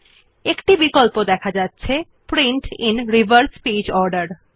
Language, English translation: Bengali, We see a check box namely Print in reverse page order